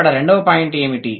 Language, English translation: Telugu, What is the second point